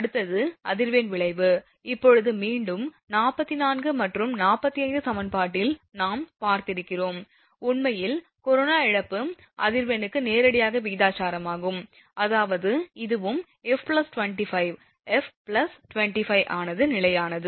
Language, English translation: Tamil, Next is effect of frequency, now again in equation 44 and 45 we have seen, the corona loss actually is directly proportional to the frequency, that means, this here also f plus 25 that will be f plus 25 is constant